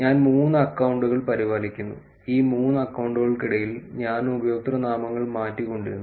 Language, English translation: Malayalam, Which is I maintain three accounts and I actually keep changing the usernames between these three accounts